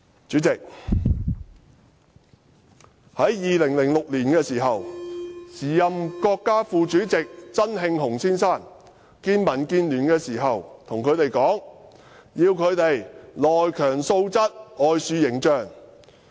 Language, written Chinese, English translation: Cantonese, 主席，在2006年，時任國家副主席曾慶紅先生會見民建聯時跟他們說，要"內強素質、外樹形象"。, President when the then Vice President Mr ZENG Qinghong met with a DAB deputation in 2006 he told them that they should improve their internal quality and build a good external image